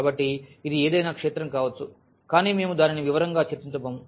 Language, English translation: Telugu, So, it can be any field, but we are not going to discuss that into details